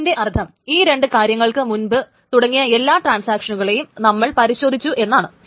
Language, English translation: Malayalam, That means all transactions that started earlier, the two things are checked